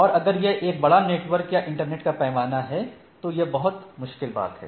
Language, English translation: Hindi, And if it is a large network then it is a or scale of internet, it is a very difficult thing